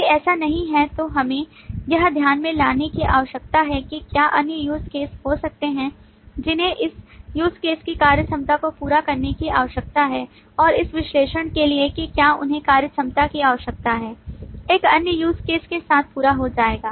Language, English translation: Hindi, If it is not, we need to conceive whether there could be other use cases, which is required to complete the functionality of this use case and this analysis of whether they functionality needs to be completed with another use case will give rise to the include relationship